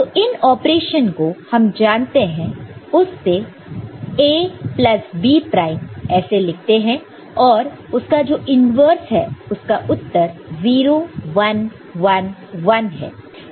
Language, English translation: Hindi, So, we know these operation as A plus B prime – right, and corresponding its inverse is over here 0 1, 1, 1 right